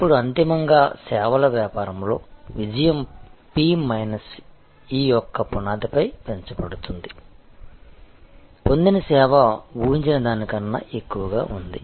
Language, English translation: Telugu, Now, ultimately the success in a services business is raised on this foundation of p minus e, perception exceeding expectation